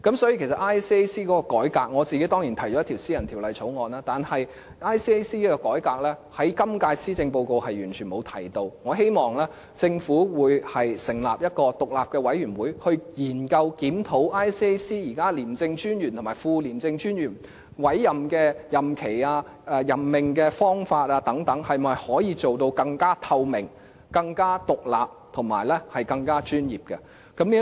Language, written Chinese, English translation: Cantonese, 有關廉署的改革，我個人當然提出了一項私人法案，但就廉署的改革，今屆施政報告是完全沒有提及的，我希望政府成立一個獨立委員會，研究檢討廉政專員和副廉政專員的委任任期、任命方法等是否能夠更透明、更獨立和專業。, Regarding the ICACs reform I have put forward a private bill of course . But the current Policy Address has not said a single word on the ICAC reform . I hope the Government can establish an independent committee to examine and consider whether the terms for the ICAC Commissioner and ICAC Deputy Commissioner as well as the method for appointing them can be more transparent independent and professional